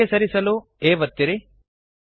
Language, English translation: Kannada, Press D to move to the right